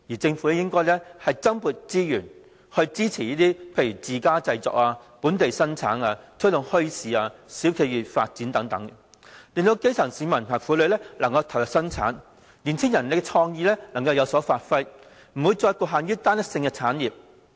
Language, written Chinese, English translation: Cantonese, 政府應該增撥資源支持自家製作、本地生產，並推動墟市、小店企業發展等，令到基層市民和婦女能夠投入生產，年青人的創意能夠有所發揮，不會再將發展局限於單一性的產業。, The Government should allocate more resources for supporting self - made production and local production for promoting bazaars the entrepreneurial development of small shops and so on so as to help grass - roots citizens and women engage in production and the young utilize their creativity with a view to releasing our development from the confines of an homogeneous set of industries